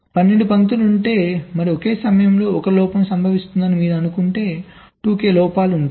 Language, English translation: Telugu, so if there are twelve lines and if you assume that one fault is occuring at a time, so there will be two k possible faults